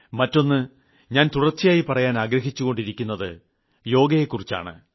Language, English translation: Malayalam, And the second thing that I constantly urge you to do is Yog